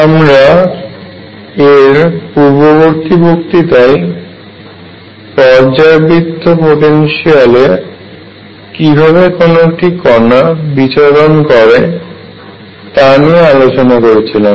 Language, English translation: Bengali, In the previous lecture we started our discussion on particles moving in a periodic potential